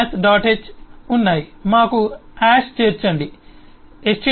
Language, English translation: Telugu, h we have hash include stdlib